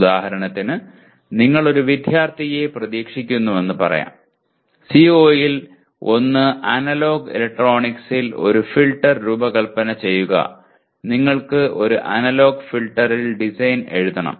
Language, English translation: Malayalam, For example, let us say you want to ask, you expect the student one of the CO is design a filter in analog electronics you want to write a design in analog filter